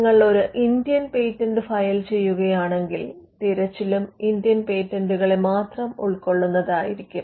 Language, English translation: Malayalam, Now, if you are filing an Indian patent, then you would normally want the search to cover the Indian patents